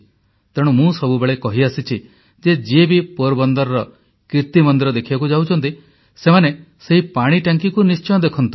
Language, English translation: Odia, As I always say that whosoever visits KirtiMandir, should also pay a visit to that Water Tank